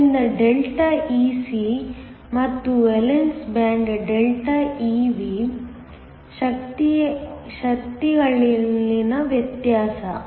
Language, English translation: Kannada, So, a Δ Ec and a difference in the energies of the valence band Δ Ev